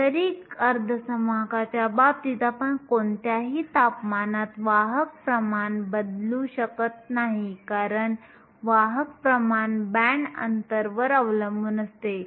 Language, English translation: Marathi, In case of intrinsic semiconductor, we cannot change the carrier concentration at any given temperature right because the carrier concentration depends upon the band gap